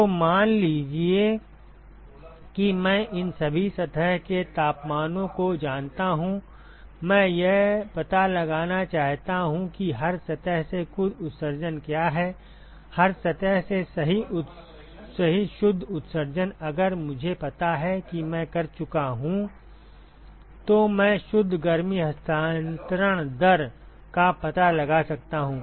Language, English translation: Hindi, So, suppose I know all these surface temperatures, I want to find out what is the total emission from every surface right net emission from every surface if I know that I am done I can find out the net heat transfer rate